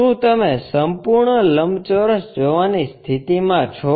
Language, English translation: Gujarati, Are you in a position to see the complete rectangle